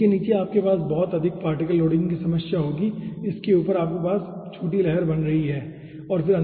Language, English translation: Hindi, okay, so below that you will be having a very high particle loading issue and above that you are having small ripples